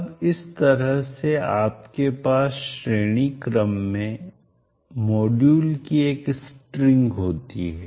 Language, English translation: Hindi, Now this way you can have a string of modules in series like that